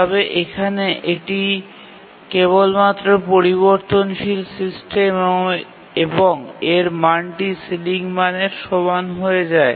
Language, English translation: Bengali, But here it's only a system variable, the value becomes equal to the ceiling value